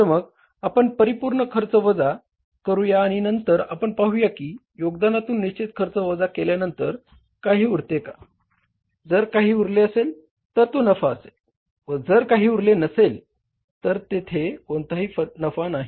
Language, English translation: Marathi, So, then we subtract the fixed expenses from the contribution and then we see that after subtracting the fixed expenses from the contribution, if something is left, then that is a profit, otherwise there is no profit